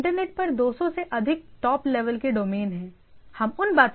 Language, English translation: Hindi, So, there are more than 200 top level domains right in the internet, we’ll come to those things more in detail